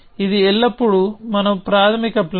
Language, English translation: Telugu, This will always be our initial plan